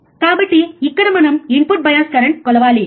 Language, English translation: Telugu, So, here we have to measure input bias current right